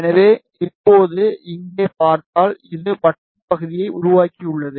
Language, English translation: Tamil, So, now, if you see here this has created the circular section